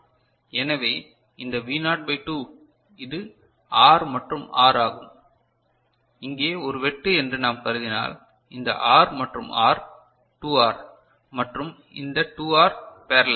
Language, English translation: Tamil, So, this V naught by 2 and this is R and R if we consider a cut over here right, then this R and R right 2 R and this 2R in parallel